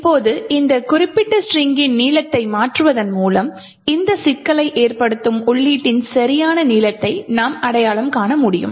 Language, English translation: Tamil, Now by changing the length of this particular string we would be able to identify the exact length of the input which causes this problem